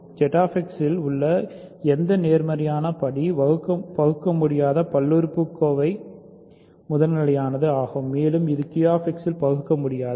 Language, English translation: Tamil, So, any positive degree irreducible polynomial in Z X is primitive and it is also irreducible in Q X